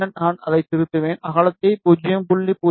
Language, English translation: Tamil, So, I will give the width as 0